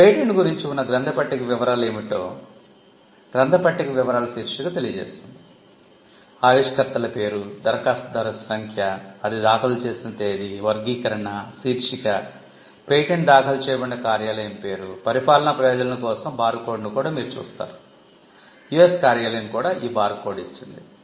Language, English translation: Telugu, Bibliographical detail will give you the details about what are the bibliographical details about the patent; the inventors name, application number, the date on which it was filed, the classification, the title, patent office in which it is filed, you will also see a barcode which is for administrative purposes, the US office has also given a barcode